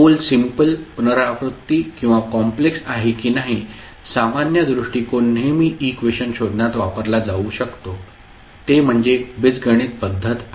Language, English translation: Marathi, So, whether the pole is simple, repeated or complex, the general approach that can always be used in finding the expression is the method of Algebra